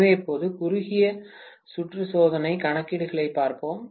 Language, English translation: Tamil, So, let us look at now the short circuit test calculations